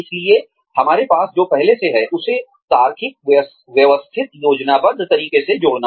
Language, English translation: Hindi, So, adding on to, what we already have, in a logical, systematic, planned manner